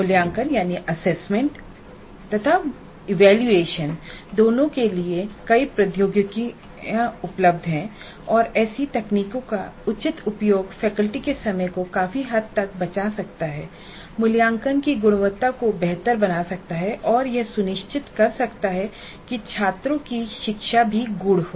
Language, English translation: Hindi, Now there are several technologies available for both assessment and evaluation and a proper use of such technologies can considerably save the faculty time, make the quality of assessment better and ensure that the learning of the students also is deep